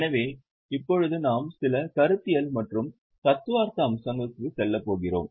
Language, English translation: Tamil, So now we are going to go for some conceptual and theoretical aspects